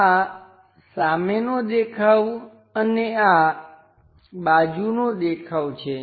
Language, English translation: Gujarati, This is the front view and this is the side view